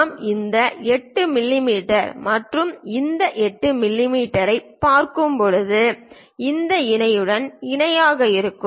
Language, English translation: Tamil, When we are looking at this 8 mm and this 8 mm are in parallel with this parallel with that